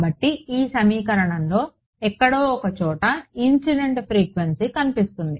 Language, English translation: Telugu, So, the incident frequency is appearing somewhere in this equation all right